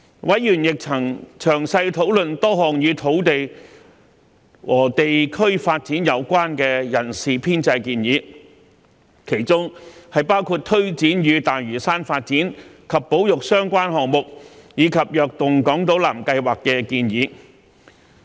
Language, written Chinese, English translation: Cantonese, 委員亦曾詳細討論多項與土地和地區發展有關的人事編制建議，包括為推展與大嶼山發展及保育相關的項目，以及"躍動港島南"計劃而提出的建議。, Members also had detailed discussions on a number of staffing proposals relating to the development of land and various districts including those for taking forward development and conservation projects related to Lantau as well as the Invigorating Island South initiative